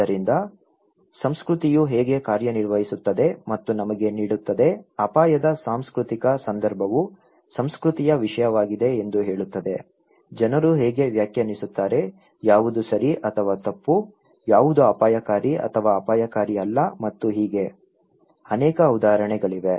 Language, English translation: Kannada, So thatís how culture works and gives us so, cultural context of risk is saying that culture matters, how people define, what is right or wrong, what is risky or not risky and in so, there are many examples